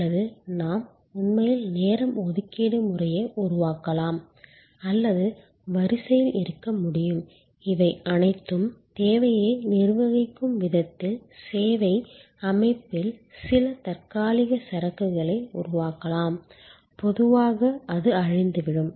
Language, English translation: Tamil, Or we can actually create a appointment system reservation of time or we can have a queue these are all managing the demand in a way creating some temporary inventory in the service system, was normally it is perishable